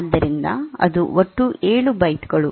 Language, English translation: Kannada, So, that is total 7 bytes